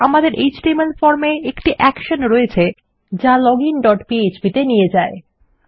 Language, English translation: Bengali, In our html form, we have the action going to a page called login dot php